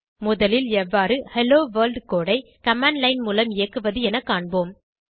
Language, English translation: Tamil, First let us see how to execute the Hello World code from command line